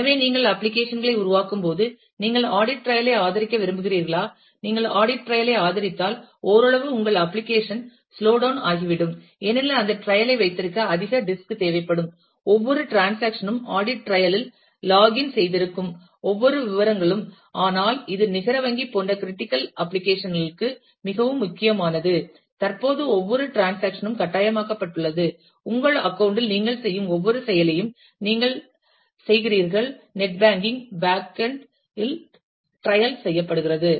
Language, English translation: Tamil, So, when you develop applications you have to consider has to whether, you would like to support audit trail of course, if you support audit trail then, somewhat your application will get slowed down, it will require more disk to keep that trail because, every transaction every details you will get logged in to the audit trail, but it is very, very important for critical applications like, net banking where currently it is mandated every transaction that, you do every action that you do on your account, through the net banking is trailed in the banks end